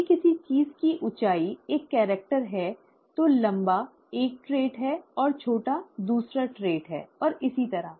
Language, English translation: Hindi, If height of something is a character, then tall is a trait and short is another trait, and so on